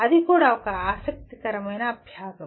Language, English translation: Telugu, That also is an interesting exercise